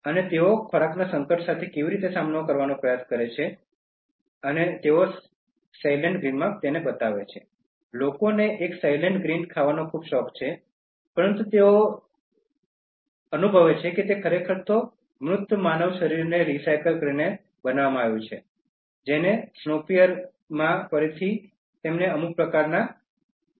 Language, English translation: Gujarati, And how do they try to deal with the food crisis, and they show in Soylent Green, people are so fond of eating one Soylent Green, but they realize that it is actually made out of recycling dead human bodies